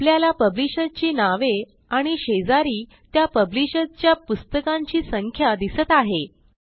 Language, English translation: Marathi, Notice the publisher names and the number of books by each publisher beside them